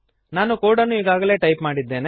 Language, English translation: Kannada, I have already typed the code